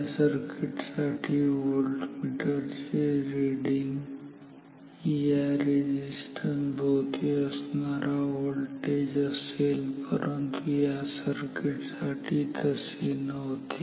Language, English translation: Marathi, So, for this circuit voltmeter reading is truly the voltage across the resistance, but for this circuit it was not so